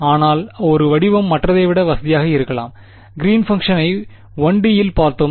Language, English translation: Tamil, But one form may be more convenient than the other like; we saw the greens function in 1 D